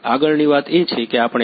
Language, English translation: Gujarati, Next thing is we got a